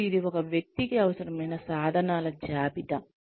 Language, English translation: Telugu, And, it is a list of, what the tools required within a person